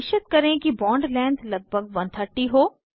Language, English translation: Hindi, Ensure that bond length is around 130